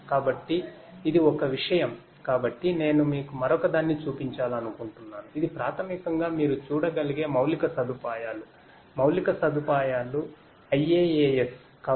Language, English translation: Telugu, So, this is one thing and so I would also like to show you another one which is so this basically you know this is a this one is basically the infrastructure that you are able to see; infrastructure IaaS